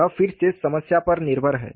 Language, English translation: Hindi, That is again problem dependent